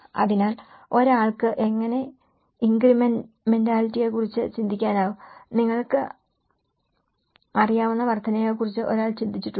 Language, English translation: Malayalam, So, how one can think of the incrementality and one has not think about the incrementality you know